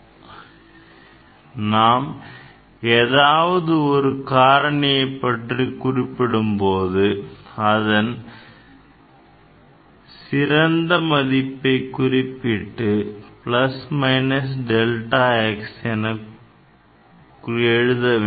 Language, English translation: Tamil, This is the answer and so, for any parameter generally we write x best value plus minus delta x